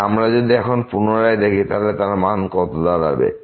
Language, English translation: Bengali, So, now if we check again what is the value here